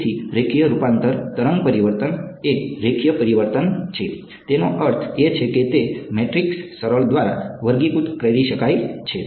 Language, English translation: Gujarati, So, linear transformation, a wavelet transformation is a linear transformation; means it can be characterized by a matrix simple